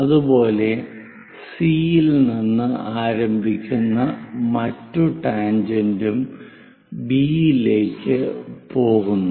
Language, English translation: Malayalam, Similarly, the other tangent which begins at C goes all the way to B; this also makes 60 degrees